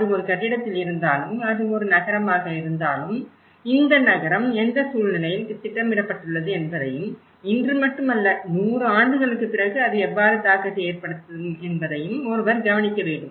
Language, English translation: Tamil, And whether it is in a building, whether it is a city, one also has to look at in what conditions this city has been planned and what would be the impact not only today but how it will make an impact after hundred years as well, so this is important setting how the for planning has to be taken care of